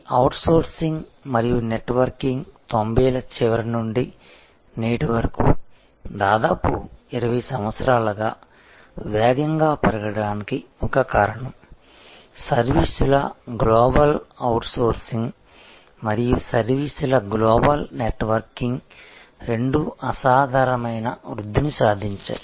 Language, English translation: Telugu, And one of the reasons why this outsourcing and networking grew so rapidly from the end of 90’s till today for the last almost 20 years, the global outsourcing of services and global networking of services have both seen phenomenal growth